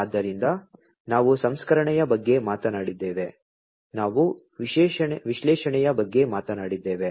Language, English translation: Kannada, So, we talked about processing, we talked about analytics